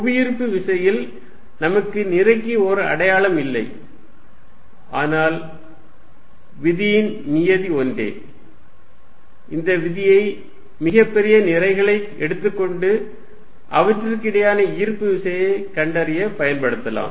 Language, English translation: Tamil, In gravitation, we have mass does not have a sign, but the form of the law is the same, the way when could check this law by taking too large masses and find in the force of attraction between them